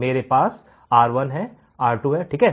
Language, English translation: Hindi, I have values R1 R2 right